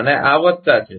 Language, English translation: Gujarati, And this is plus